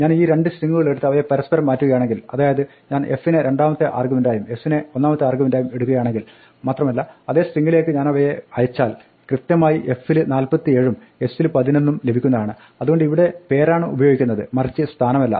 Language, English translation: Malayalam, If I take these two things and I exchange them, so if I make f the second argument and s the first argument, and I pass it to the same string then f will be correctly caught as 47 and s as 11, so here by using the name not the position